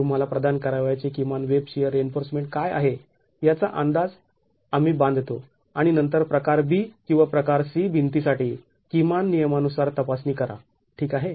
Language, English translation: Marathi, We make an estimate of what the minimum web shear reinforcement that you have to provide is and then check against the minimum prescriptions for type B or type C wall